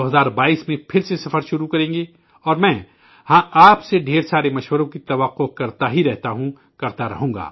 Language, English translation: Urdu, We will start the journey again in 2022 and yes, I keep expecting a lot of suggestions from you and will keep doing so